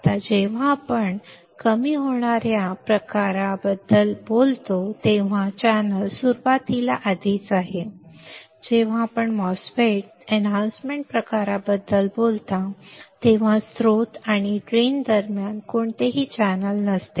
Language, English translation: Marathi, Now when we talk about depletion type MOSFET, the channel is already there in the beginning, when you talk about enhancement type MOSFET there is no channel between source and drain